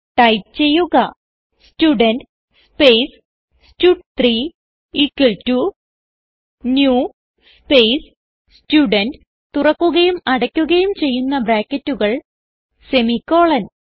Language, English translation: Malayalam, So type Student space stud3 equal to new space Student within brackets opening and closing brackets semicolon